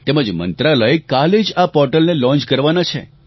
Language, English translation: Gujarati, The Ministry is launching the portal tomorrow